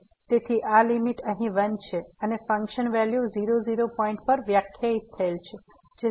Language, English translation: Gujarati, So, this limit here is 1 and the function value defined at point is given as 0